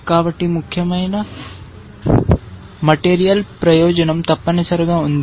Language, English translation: Telugu, So, there is a significant material advantage essentially